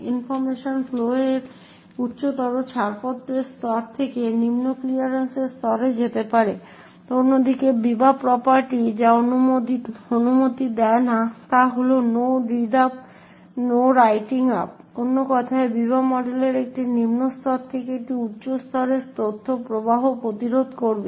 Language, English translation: Bengali, So you see the path of information flow, information flow can go from a higher clearance level to a lower clearance level on the other hand what the Biba property does not permit is the no read up and the no write up, in other words the Biba model would prevent information flow from a lower level to a higher level